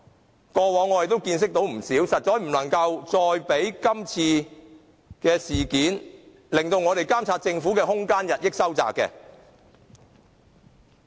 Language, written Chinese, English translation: Cantonese, 這些過往我們已有見識，實在不能讓今次事件，令我們監察政府的空間進一步收窄。, We have experienced all these before and should definitely not let this incident further reduce our capacity to monitor the Government